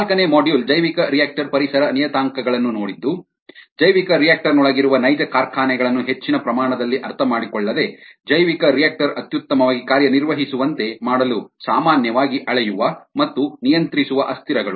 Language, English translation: Kannada, the fourth module looked at the bioreactor environment parameters, the variables that are usually measured and controlled to make the bioreactor operate optimally, without understanding the actual factories that are inside the bioreactor